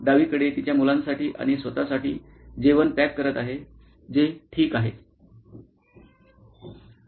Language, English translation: Marathi, On the left hand side is packing lunch for her kids and for herself which is good, okay